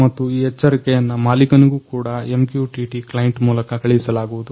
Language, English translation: Kannada, And this alert also be sent to an owner, through MQTT client